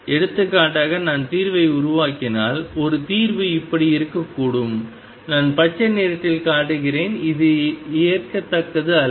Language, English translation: Tamil, For example, if I build up the solution one solution could be like this, I am showing in green this is not acceptable